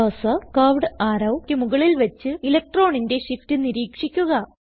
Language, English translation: Malayalam, Place the cursor on the curved arrow and observe the electron shift